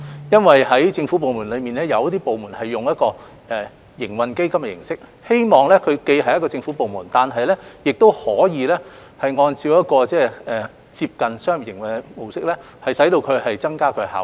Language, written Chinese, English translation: Cantonese, 因為在政府部門中，有一些部門是以營運基金的形式運作，希望它既是一個政府部門，又可以按照接近商業的模式營運，以增加其效率。, This is truly a financial arrangement for the Government as a whole . It is because some government departments operate as trading funds in the hope that they can keep the status of a government department while operating in a way close to that of the commercial ones thereby enhancing their efficiency